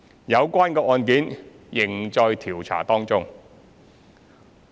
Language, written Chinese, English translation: Cantonese, 有關案件仍在調查中。, The cases are still under investigation